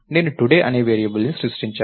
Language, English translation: Telugu, I created a variable called today